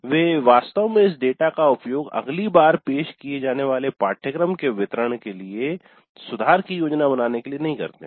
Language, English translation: Hindi, They really do not make use of this data to plan improvements for the delivery of the course the next time it is offered